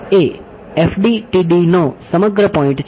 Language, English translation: Gujarati, That is the whole point of FDTD